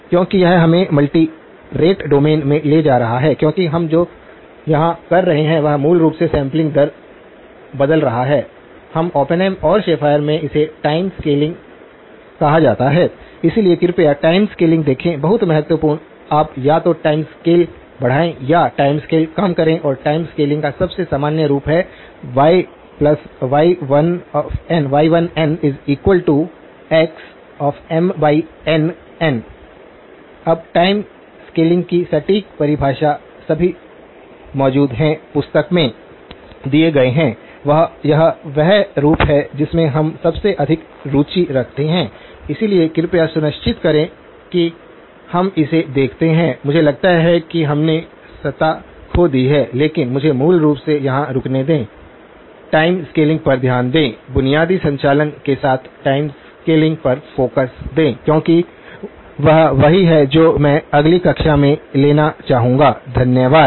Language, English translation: Hindi, Because that is taking us into the multi rate domain because what we are fundamentally doing here is changing the sampling rate, we in Oppenheim and Schafer, it is called time scaling okay, so please look at time scaling very, very important, you can either increase the time scale or reduce the time scale and the most general form of time scaling is y1 of n equal to x of M by N times n, okay